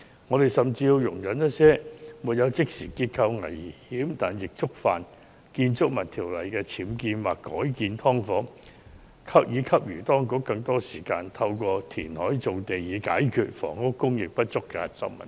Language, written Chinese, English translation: Cantonese, 我們甚至要容忍一些沒有即時結構危險，但亦觸犯《建築物條例》的僭建或改建"劏房"繼續存在，從而給予當局更多時間，透過填海造地以解決房屋供應不足的核心問題。, We even have to condone the continued existence of those illegal or converted subdivided units with no imminent structural danger but in contravention of BO thereby giving the authorities more time to address the core issue of insufficient housing supply by reclamation of land